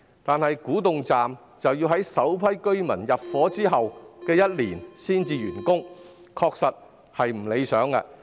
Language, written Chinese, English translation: Cantonese, 然而，古洞站要在首批居民入伙1年後才竣工，確實有欠理想。, However Kwu Tung Station will not be completed until one year after the first batch of residents has moved in which is indeed unsatisfactory